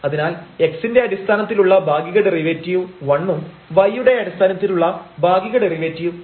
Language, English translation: Malayalam, So, the partial derivative with respect to x is 1 and the partial derivative with respect to y is 2